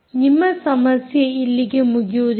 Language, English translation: Kannada, your problem doesnt end here